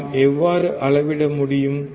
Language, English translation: Tamil, How can we measure